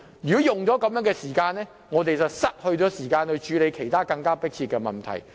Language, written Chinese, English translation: Cantonese, 如果花了這些時間，我們便少了時間處理其他更迫切的問題。, If we spend time on these matters there will be less time for us to tackle other more urgent issues